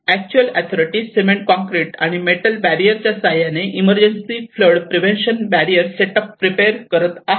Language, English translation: Marathi, So the authorities are actually preparing to set up an emergency flood prevention barrier, and they want to make an artificial barrier using the concrete and metal barrier